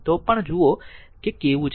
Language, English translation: Gujarati, So, let us see how is it